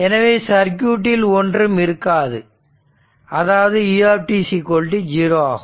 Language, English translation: Tamil, So, nothing is showing in the circuit, so in that case u t is equal to 0